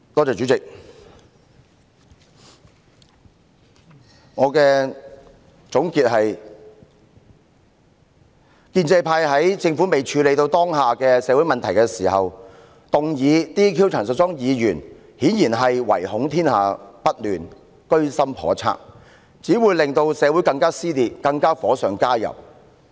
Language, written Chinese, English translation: Cantonese, 主席，我的總結是，建制派在政府尚未處理好當前的社會問題前動議解除陳淑莊議員的立法會議員職務，顯然是唯恐天下不亂，居心叵測，結果只會火上加油，令社會進一步撕裂。, President to conclude it is apparent that the pro - establishment camp by moving a motion to relieve Ms Tanya CHAN of her duties as a Member of the Legislative Council before the Government addresses the current social problems is a troublemaker with malicious intent . As a result they will only add fuel to the fire leading to further polarization in the community